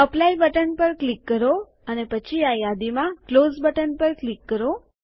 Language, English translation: Gujarati, Click on the Apply button and then click on the Close button in this list